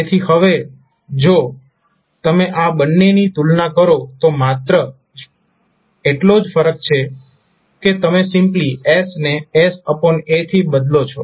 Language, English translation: Gujarati, So now if you compare these two, the only difference is that you are simply replacing s by s by a